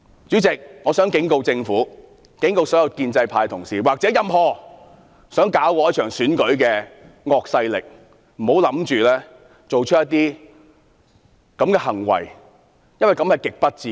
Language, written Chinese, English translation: Cantonese, 主席，我想警告政府、所有建制派同事及任何想破壞這場選舉的惡勢力，不要做出這些行為，這是極不智的。, President I wish to warn the Government all pro - establishment Members and triad members who want to ruin this election not to do such things . This will be very unwise